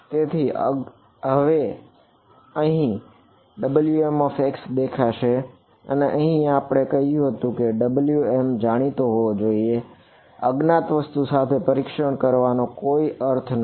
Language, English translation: Gujarati, So, the unknown is here now W m is appearing over here and here we said W should be known, there is no point in testing with the unknown something